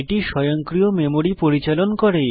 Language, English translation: Bengali, It supports automatic memory management